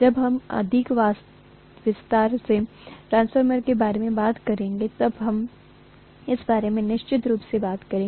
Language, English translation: Hindi, We will talk about this definitely when we talk about transformer in a greater detail, is that clear